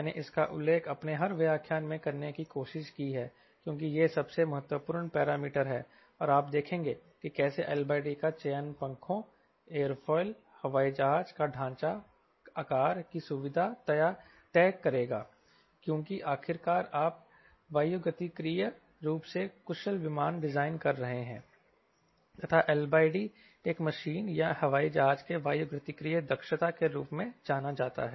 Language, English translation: Hindi, i have tried to mention this every part of my lecture because this is all the most important parameter and you will see how selection of l by d will decide: feature of the wings, feature of the wing, aerofoil shape, because after all you are designing, we are trying to design aerodynamically efficient airplane and l by d is known as aerodynamic efficiency of an machine or an airplane, right